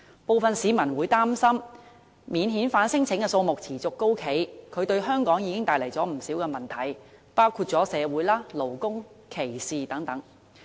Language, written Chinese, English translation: Cantonese, 部分市民擔心，免遣返聲請數目持續高企，已經為香港帶來不少問題，包括社會、勞工和歧視等。, Some Hong Kong people are worried that the persistently large number of non - refoulement claims have produced many effects on Hong Kong such as social labour and discrimination problems